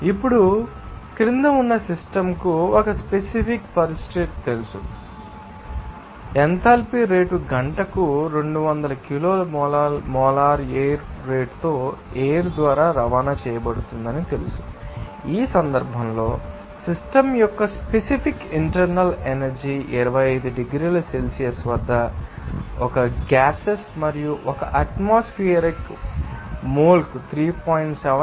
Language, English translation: Telugu, Now, if we say that a system under a you know certain condition at least you know that the rate of enthalpy is transported by stream with a molar flow rate of 200 kilomole per hour, in this case, the specific internal energy of that system of a gas at 25 degrees celsius and one atmosphere is you know 3